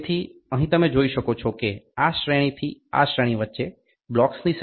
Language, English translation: Gujarati, So, here you can see there is number of blocks between this range to this range is 0